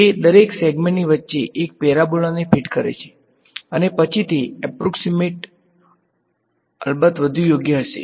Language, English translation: Gujarati, It fit a parabola in between each segment right and then that approximation will of course be better right